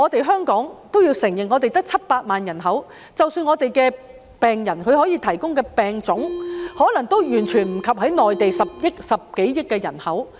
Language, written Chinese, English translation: Cantonese, 香港也要承認，我們只有700萬人口，即使我們的病人可以提供病例，也可能完全及不上內地10多億人口。, Hong Kong has to admit that we only have a population of 7 million people . Even if our patients can provide some cases it may not be comparable in any way to the population of more than 1 billion people on the Mainland